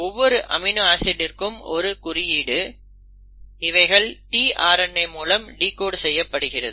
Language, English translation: Tamil, So you have amino acids and then you have a molecule called as the tRNA